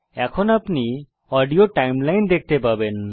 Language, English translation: Bengali, You will be able to view the Audio Timeline now